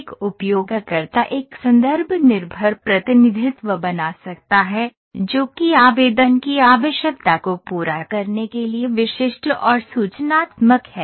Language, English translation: Hindi, A user can create a context dependent representation, that is specific and informative enough to satisfy the requirement of the application